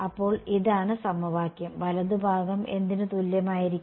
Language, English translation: Malayalam, So, this is the equation and what is the right hand side going to be equal to